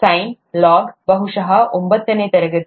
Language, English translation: Kannada, Sine, log, probably ninth standard